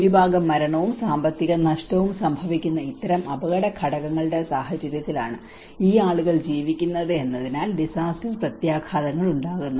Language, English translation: Malayalam, So disaster impacts because these people live in this kind of risk factors situations that is where the majority mortality and economic loss